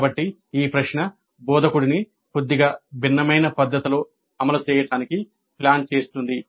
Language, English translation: Telugu, So, this question would allow the instructor to plan implementation in a slightly different fashion